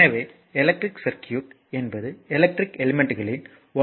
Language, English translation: Tamil, Therefore, an electric circuit is an interconnection of electrical elements